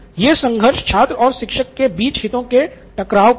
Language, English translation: Hindi, So this is the conflict of interest between the student and the teacher